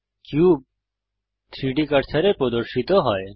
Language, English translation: Bengali, The cube snaps to the 3D cursor